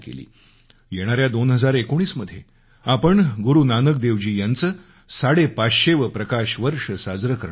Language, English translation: Marathi, Come 2019, we are going to celebrate the 550th PRAKASH VARSH of Guru Nanak Dev ji